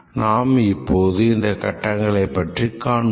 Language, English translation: Tamil, Let's look at what these phases imply